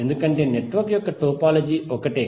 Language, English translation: Telugu, So for network topology what is the topology